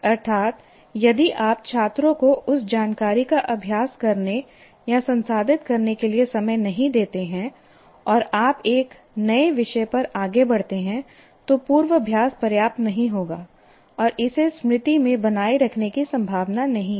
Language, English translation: Hindi, That is, if you don't give time to the students to practice or process that information and you move on to a new topic, obviously the rehearsal is not adequate and it is unlikely to be retained in the memory